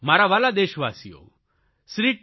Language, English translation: Gujarati, My dear countrymen, Shri T